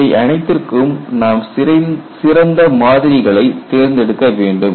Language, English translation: Tamil, For all these, you need to go for better models